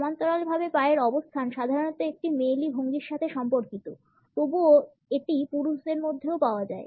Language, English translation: Bengali, The parallel leg position is normally related with a feminine posture, but nonetheless it can be found in men also